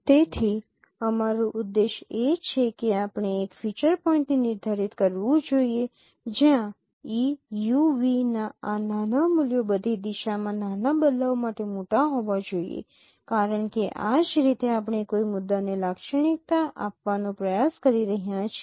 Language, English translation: Gujarati, So our objective is that we should define a feature point where these values of EU v should be large for small shifts in all directions because that is how we are trying to characterize a point